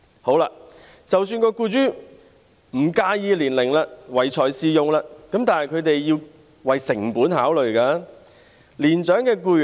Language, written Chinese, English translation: Cantonese, 好了，即使僱主不介意年齡，唯才是用，但他們也得考慮成本。, Well even if employers do not mind their age and hire them entirely on merit they still have to consider the costs